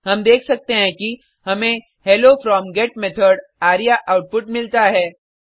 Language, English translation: Hindi, We can see that we have got the output Hello from GET Method arya